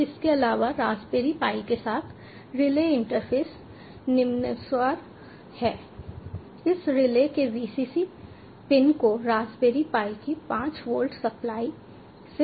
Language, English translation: Hindi, now, additionally, the relay interface with the raspberry pi is as follows: we connect the vcc pin of the relay to five volts supply of raspberry pi